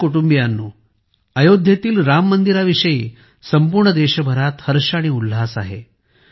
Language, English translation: Marathi, My family members, there is excitement and enthusiasm in the entire country in connection with the Ram Mandir in Ayodhya